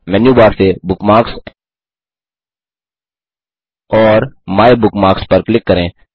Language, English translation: Hindi, * From Menu bar, click on Bookmarks and MyBookmarks